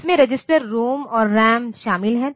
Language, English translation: Hindi, It includes the registers, ROM and RAM